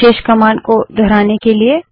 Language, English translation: Hindi, In order to repeat a particular command